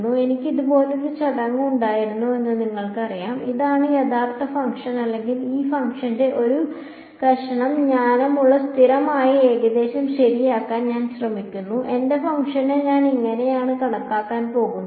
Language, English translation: Malayalam, So, it is you know if I had a function like this; if this is the actual function, I am trying to make a piece wise constant approximation of this function right I am going to say this is how I am going to approximate my function